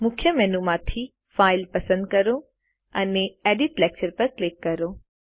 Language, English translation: Gujarati, From the Main menu, select File, and click Edit Lecture